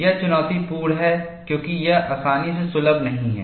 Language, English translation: Hindi, It is challenging, as it is not easily accessible